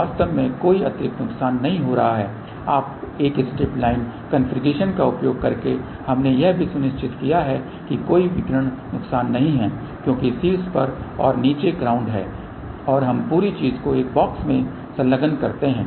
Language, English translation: Hindi, So, there is actually speaking no additional loss and by using a strip line configuration we have also ensured that there are no radiation losses , because there is a ground at the bottom ground at the top and we also enclose the whole thing in a box ok